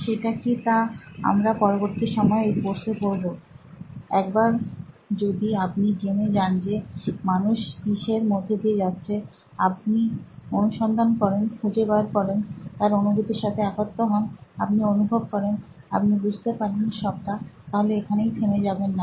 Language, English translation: Bengali, What it is we will cover later in the course as well, once you know what people are going through, you find out, figure it out, you empathise, you feel it, you understand it then do not stop there